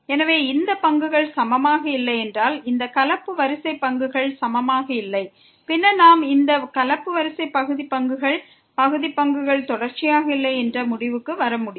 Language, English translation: Tamil, So, if these derivatives are not equal this mixed order derivatives are not equal, then we can conclude that the partial derivatives these mixed order partial derivatives are not continuous